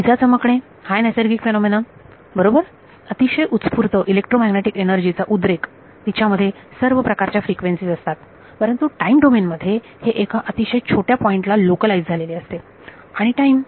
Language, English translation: Marathi, Natural phenomena lightning right very sudden burst of electromagnetic energy in terms of frequency content it will be all frequencies, but in time domain is localized a very small point and time